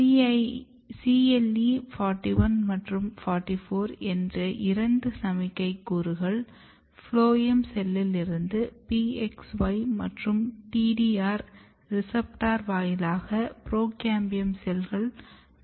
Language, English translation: Tamil, So, from phloem cells there are two signaling two putative signaling molecule CLE41 and 44 they are being received by the procambium cells through PXY and TDR based reception mechanism